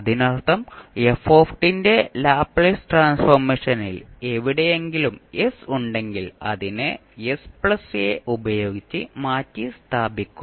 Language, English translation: Malayalam, That means that wherever we have s in case of the Laplace transform of f t, we will replace it by s plus a